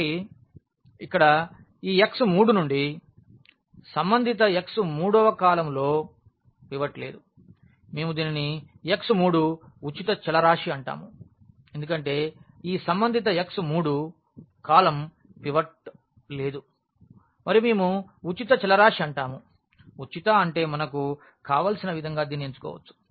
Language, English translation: Telugu, So, here since this x 3 corresponding to the x 3 the third column does not have a pivot, we call that this x 3 is a free variable because corresponding to this x 3 the column does not have a pivot and we call this like a free variable; free means we can choose this as we want